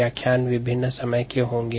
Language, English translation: Hindi, these lectures would be of variable times